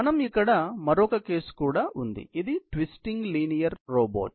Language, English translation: Telugu, We also have another case here; the twisting linear robot here